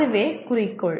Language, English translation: Tamil, That is the goal